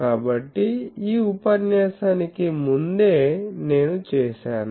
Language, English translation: Telugu, So, just before this lecture I did